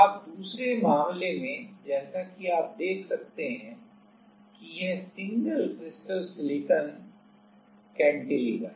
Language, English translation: Hindi, Now, in the second case as you can see this is a single crystal silicon cantilever